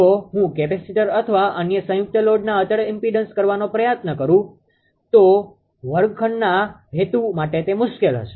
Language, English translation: Gujarati, If I try to do constant impedance of capacitor and other composite load it will be difficult for the classroom purpose